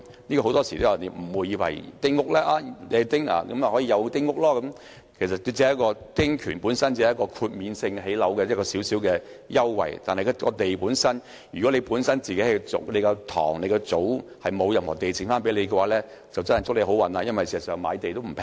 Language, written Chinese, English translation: Cantonese, 大家很多時都誤會了，以為男丁便有丁屋，其實只是一個丁權，建屋可獲豁免申請的小小優惠，但如果某人本身的祖堂沒有留下任何土地，便根本沒有關係，因為現在買地也不便宜。, In fact they only have the right to build small houses and the only benefit they can enjoy is that they do not need to apply for building houses . However if the Tso Tong of a villager does not have any land the right to build small houses is not relevant at all as it is not cheap to buy land now